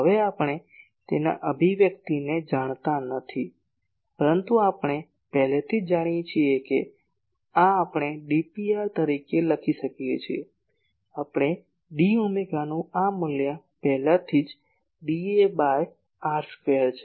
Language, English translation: Gujarati, Now , we do not know it is expression , but we already know that this we can write as d P r this , we have already found this value of d omega in terms of area that is d A by r square